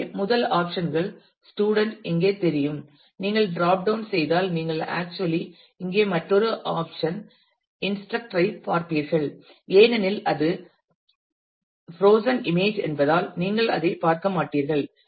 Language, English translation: Tamil, So, the first options student is visible here if you drop down you will actually see another option instructor here you will not see that because it is a frozen image